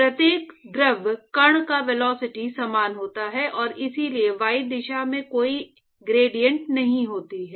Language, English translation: Hindi, So, the velocity of every fluid particle is actually exactly the same and so, there is no gradient in the y direction